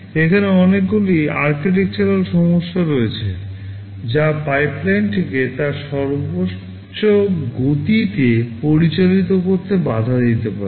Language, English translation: Bengali, There are a lot of architectural issues that can prevent the pipeline from operating at its maximum speed